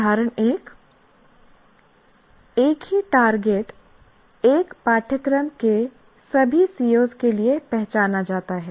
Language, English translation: Hindi, Example one, same target is identified for all the COS of a course